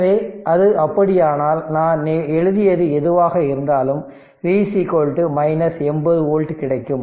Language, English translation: Tamil, So, if it is so, then V is equal to whatever I wrote, V is equal to we will get minus 80 volt right minus 80 volt